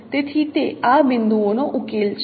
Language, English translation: Gujarati, So this is a solution of this point